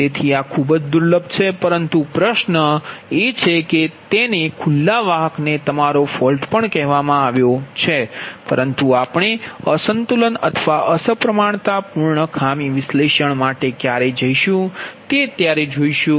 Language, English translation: Gujarati, but question is that that is also called open conductor, your fault, but that we will see when we will go for unbalanced or unsymmetrical fault analysis